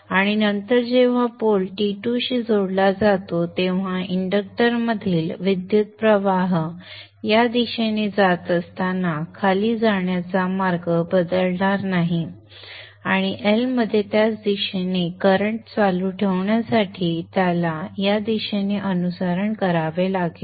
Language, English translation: Marathi, And then when the pole is connected to T2, the current in the inductor which was going in this direction going down will not change path and it has to follow in this direction to continue to have the current flow in the same direction in the L